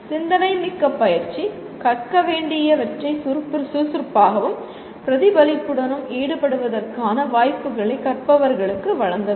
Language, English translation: Tamil, Thoughtful practice, opportunities for learners to engage actively and reflectively whatever is to be learned